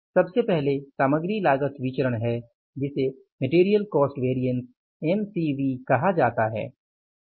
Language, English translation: Hindi, First is the material cost variance which is called as MCB